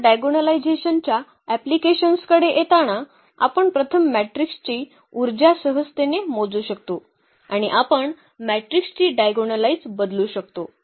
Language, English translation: Marathi, Now, coming to the applications of the diagonalization, the first application we will consider that we can easily compute the power of the matrices once we can diagonalize the matrix